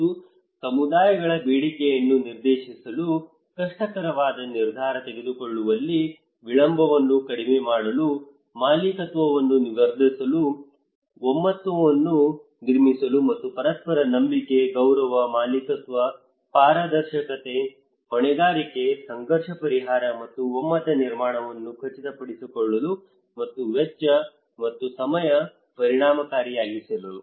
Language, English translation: Kannada, And what are the mechanism to channel communities demand, reduce delay in difficult, decision making, enhance ownership, build consensus etc and ensure mutual trust, respect, ownership, transparency, accountability, conflict resolution and consensus building, and cost and time effective